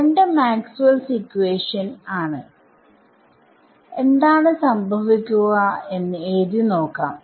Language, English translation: Malayalam, So, let us let us write it out so, let us take both are Maxwell’s equations and try to write out what happenes right